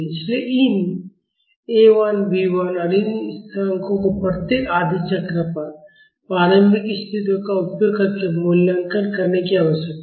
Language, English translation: Hindi, So, these A 1, B 1 and these constants need to be evaluated using the initial conditions at each half cycle